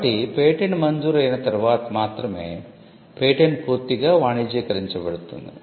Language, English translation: Telugu, So, when a patent gets granted it is only after the grant that patent can be fully commercialized